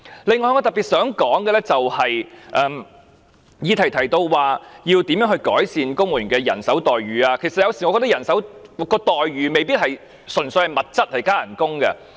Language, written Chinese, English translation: Cantonese, 此外，我特別想說的，就是議案提到如何改善公務員的待遇，其實我有時候覺得待遇未必純粹涉及物質和加薪。, Besides I wish to stress that while the motion mentions how to improve the employment terms of civil servants actually I sometimes feel that benefits in kind and pay rises are not necessarily the only concerns